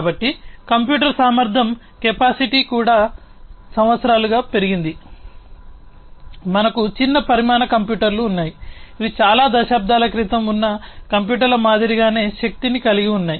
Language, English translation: Telugu, So, computing capacity had also increased so, over the years we have now, you know, small sized computers that have the same power like the computers that were there several decades back